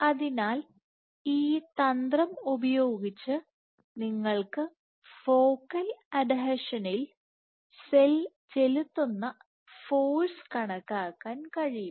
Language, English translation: Malayalam, So, using this strategy you can actually quantify the force that the cell is exerting at the focal adhesion